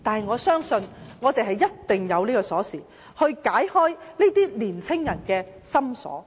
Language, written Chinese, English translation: Cantonese, 我相信一定有鎖匙能夠解開青年人的心鎖。, I believe there must be a key that can unlock the lock in the heart of young people